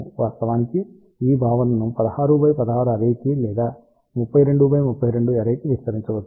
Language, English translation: Telugu, Of course, this concept can be extended to 16 by 16 array or even 32 by 32 array to realize much larger gain